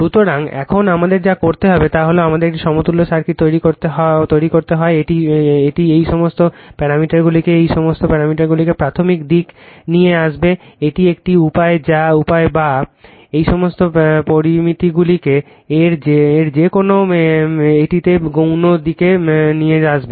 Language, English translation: Bengali, So, now, what we have to do is we have to make an equivalent circuit either it will bring either you bring all this parameters all this parameters to the primary side this is one way or you bring all these parameters to the secondary side either of this